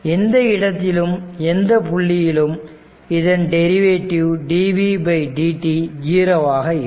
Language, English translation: Tamil, So, any time any place any point you take the derivative dv by dt will be 0